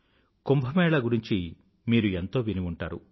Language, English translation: Telugu, You must have heard a lot about Kumbh